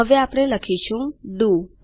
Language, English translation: Gujarati, Now what we type is DO